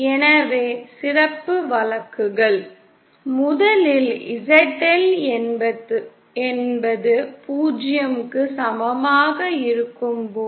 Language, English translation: Tamil, So the special cases are: 1st is when ZL is equal to 0